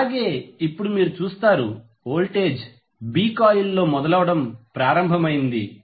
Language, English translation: Telugu, So, you will see now the voltage is started building up in B coil